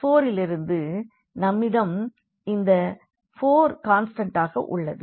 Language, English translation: Tamil, So, this x 2 and x 5, these are the two free variables